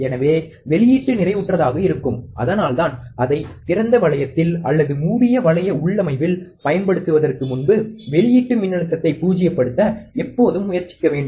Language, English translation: Tamil, So, output will be saturated, that is why before we use it in open loop or even in a closed loop configuration we have to always try to null the output voltage